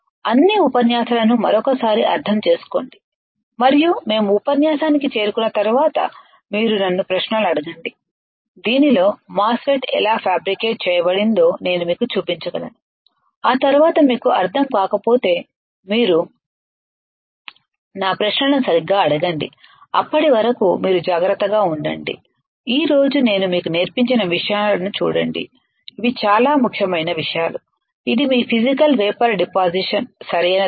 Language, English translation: Telugu, Understand all the lectures once again and you ask me questions once we reach the lecture in which I can show it to you how the MOSFET is fabricated, after that if you do not understand you ask my questions alright, till then you take care once again look at the things that I have taught you today it is very important things which is your physical vapour deposition right